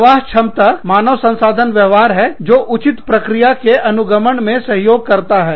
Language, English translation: Hindi, Throughput is HR behaviors, that help us follow, due process